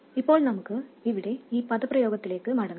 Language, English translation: Malayalam, Now let's go back to this expression here